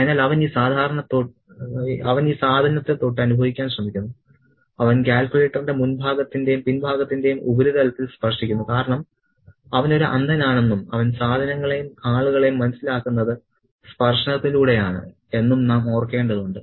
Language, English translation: Malayalam, So, he tries to kind of feel this thing, you know, he touches the surface of the front and the back of the calculator because we need to remember that he is a blind man and he understands things and people by touching them